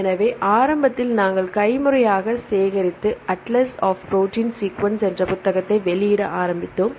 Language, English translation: Tamil, So, initially, we started to collect manually and publish a book called the Atlas of protein sequences right